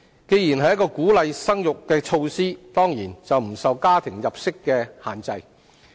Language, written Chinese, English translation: Cantonese, 既然是一項鼓勵生育的措施，當然不受家庭入息所限制。, As it is a measure to boost the fertility rate it is naturally not subject to any household income restrictions